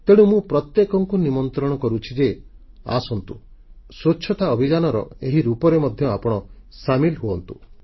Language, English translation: Odia, I invite one and all Come, join the Cleanliness Campaign in this manner as well